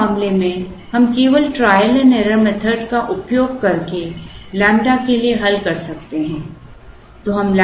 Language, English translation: Hindi, So, in this case we can solve for lambda only using a trial and error method